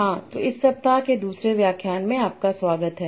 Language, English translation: Hindi, So, welcome back for the second lecture of this week